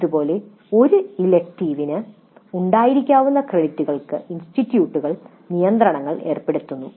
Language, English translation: Malayalam, Like this institutes impose restrictions on the credits that an elective may have